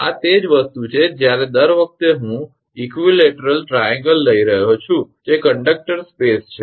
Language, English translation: Gujarati, These are the thing what these every time I am taking equilateral triangle that is conductors space